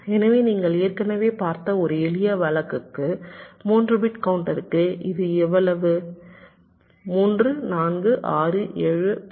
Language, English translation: Tamil, so for a simple case, you see, see already you have seen for three bit counter it is how much three, four, six, seven, ten, fourteen, fourteen